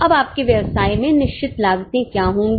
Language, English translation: Hindi, Now what will be the fixed cost in your business